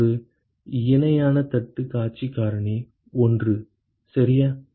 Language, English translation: Tamil, it is a parallel plate view factor is 1 right